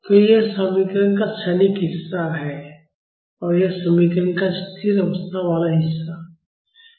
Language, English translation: Hindi, So, this is the transient part of the equation and this is the steady state part of the equation